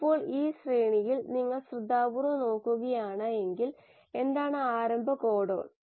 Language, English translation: Malayalam, Now, in this sequence if you see carefully, what is the start codon